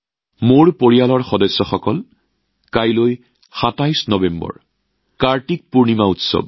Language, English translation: Assamese, My family members, tomorrow the 27th of November, is the festival of KartikPurnima